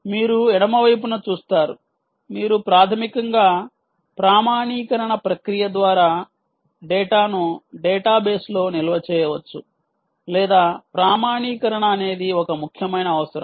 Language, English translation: Telugu, ah, you see, on the left side, you can basically store data onto the database, either through an authentication process or so